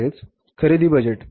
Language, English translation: Marathi, Then purchase budget